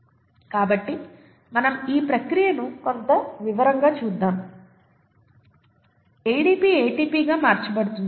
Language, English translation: Telugu, So let us look at this process in some detail, ADP getting converted to ATP